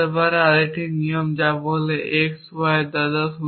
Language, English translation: Bengali, May be there is another rule which says that grandfather of x y